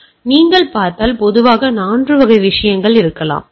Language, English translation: Tamil, So, if you see there can be typically 4 category of the things